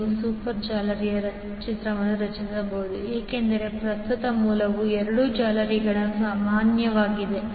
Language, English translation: Kannada, You can create super mesh because the current source is common to both of the meshes